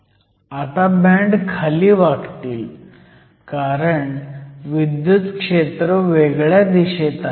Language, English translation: Marathi, So now, the bands will bend the other way because the electric field is in the opposite direction